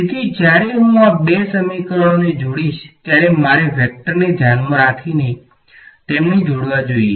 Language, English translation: Gujarati, So, when I combine these two equations I must combine them keeping the vectors in mind right